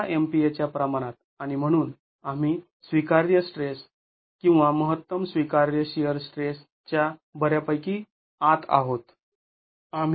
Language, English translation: Marathi, 1 MPA and therefore we are well within the allowable shear stress or the maximum allowable shear stress